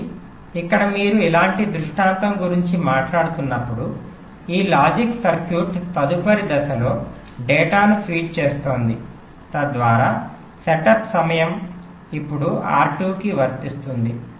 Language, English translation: Telugu, so here, when you are talking about a scenario like this, this logic circuit is feeding data to in next stage, so that setup time will apply to r two